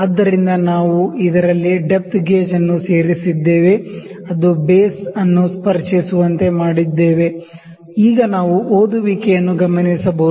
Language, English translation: Kannada, So, we have inserted the depth gauge in this, made it to touch the base, now we can note the reading